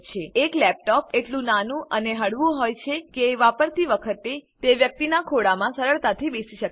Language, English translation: Gujarati, A laptop is small and light enough to sit on a persons lap, while in use